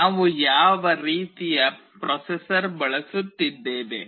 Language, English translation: Kannada, What kind of processor we are using